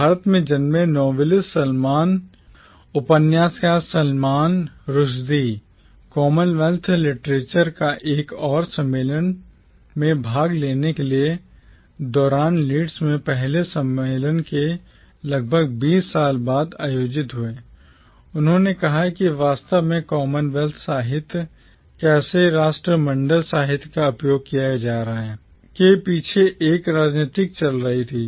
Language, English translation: Hindi, The Indian born novelist Salman Rushdie, while attending another conference on Commonwealth Literature held nearly twenty years after the first conference at Leeds, noted that there was in fact a politics going on behind how the term Commonwealth literature, the category Commonwealth literature was being used